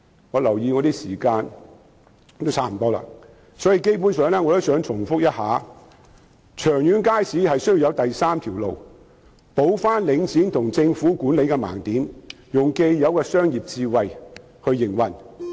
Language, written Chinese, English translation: Cantonese, 我留意到發言時間差不多結束，基本上我只想重申，長遠而言，街市的管理需要有第三條路，填補領展和政府的盲點，以既有的商業智慧來營運。, I note that my speaking time is almost up . Basically I only wish to reiterate that in the long term market management needs to find a third way to make up for the blind spots of Link REIT and the Government and operate with commercial wisdom